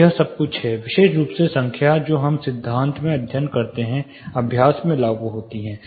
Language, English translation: Hindi, So, this is all about, how specifically numbers which we study in theory, apply in the practice